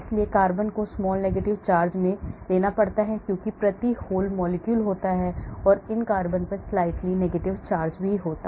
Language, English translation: Hindi, so the carbon has to take in small negative charge because the whole molecule per se is neutral so these carbons will have slightly negative charge